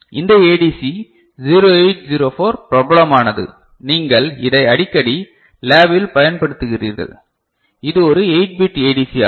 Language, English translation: Tamil, So, this ADC 0804 is popular often you use it in the lab ok, so this is a 8 bit ADC